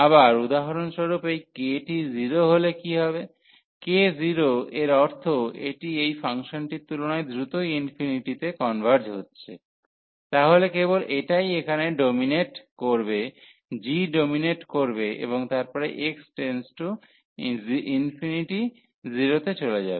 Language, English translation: Bengali, Further, what will happen if this k is 0 for example; k is 0 means that this is converging faster to infinity than this one than this function, then only this will dominate here the g will dominate and then x goes to infinity this will go to 0